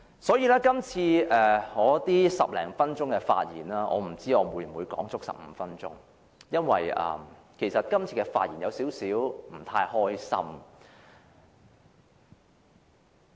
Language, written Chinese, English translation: Cantonese, 我不知道我今次發言會否用盡15分鐘，因為我今次發言時，感到有點不太高興。, I do not know if my speech will use up all the 15 minutes because this time when I speak I feel a bit unhappy